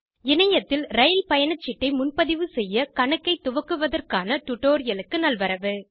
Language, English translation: Tamil, Welcome to the spoken tutorial on Registration of an account for online train booking